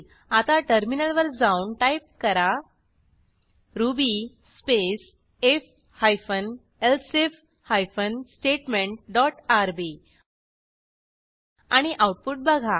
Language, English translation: Marathi, Now, let us switch to the terminal and type ruby space if hyphen elsif hyphen statement dot rb and see the output